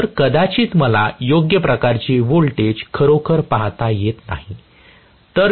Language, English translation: Marathi, So, I may not be able to really see any proper voltage